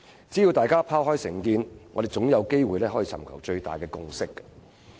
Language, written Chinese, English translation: Cantonese, 只要大家拋開成見，我們總有機會尋求最大共識。, As long as we can set aside our prejudices we will be able to reach the greatest agreement somehow